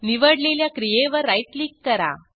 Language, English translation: Marathi, Right click on the selection